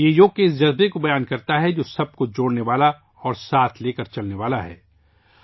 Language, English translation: Urdu, It expresses the spirit of Yoga, which unites and takes everyone along